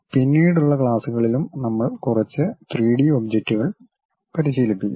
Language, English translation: Malayalam, We will practice couple of 3D objects also in the later classes